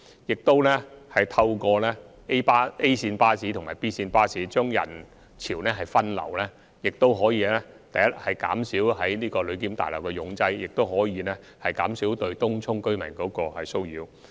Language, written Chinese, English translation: Cantonese, 此外，我們亦透過 A 線巴士和 B 線巴士把人潮分流，這樣既可減少旅檢大樓的擠擁情況，亦可減少對東涌居民的騷擾。, In addition we have also diverted passenger flow by providing the A route buses and B route buses . This has not only relieved the overcrowdedness of the Passenger Clearance Building but has also minimized the nuisance caused to Tung Chung residents